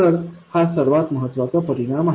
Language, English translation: Marathi, So, this is the most important effect